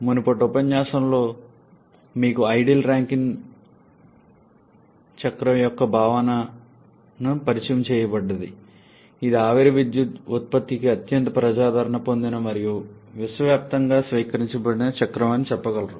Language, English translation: Telugu, In the previous lecture you were introduced to the concept of the ideal Rankine cycle which you can say is the most popular and universally adopted cycle for steam power generation